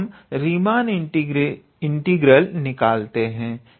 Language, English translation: Hindi, So, let us calculate the Riemann integral